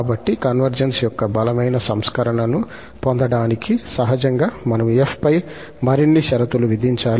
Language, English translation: Telugu, So, to get the stronger version of convergence, naturally, we have to impose more conditions on f